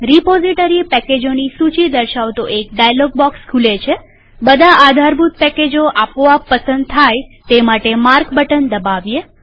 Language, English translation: Gujarati, A dialog box appears showing all the list of repository packages.Click on Mark button to mark all the dependencies packages automatically